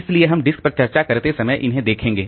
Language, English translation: Hindi, So, we'll see them while discussing on the disk